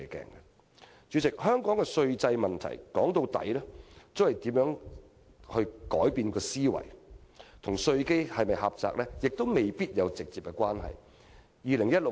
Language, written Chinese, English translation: Cantonese, 主席，要處理香港的稅制問題，歸根究底，必須改變思維，這與稅基是否狹窄未必有直接關係。, President the problems with Hong Kongs tax system can only be dealt with through a new mindset and they are not necessarily related to our narrow tax base